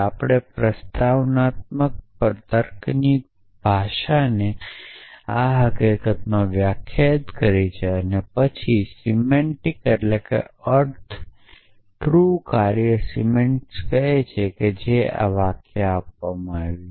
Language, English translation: Gujarati, We have defined the language of propositional logic this in fact then the semantics the truth function semantics which says that given a sentence